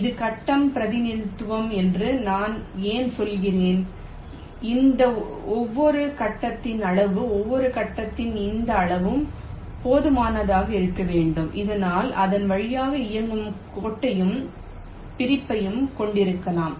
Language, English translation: Tamil, now why i am saying is that in this grid representation, the size of each grid, this size of the each grid, should be large enough so that it can contain the line that is running through it and also the separation